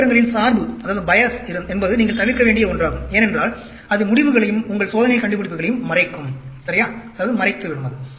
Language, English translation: Tamil, In statistics, bias is one which you need to avoid, because that will mask the results, as well as your experimental findings, ok